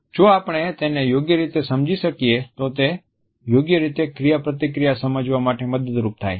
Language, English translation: Gujarati, We find that if we are able to read them correctly, it becomes a key to understand the interaction in a proper way